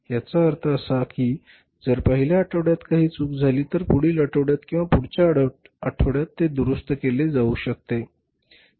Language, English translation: Marathi, So, it means if there anything goes wrong in the wrong in the first week it, it can be corrected in the next week, in the next week or in the next week